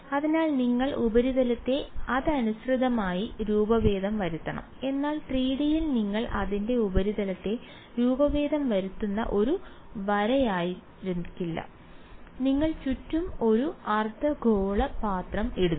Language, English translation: Malayalam, So, you have to deform the surface correspondingly, but in 3D it will not be a line that you are deforming its a surface that you are putting a hemispherical bowl around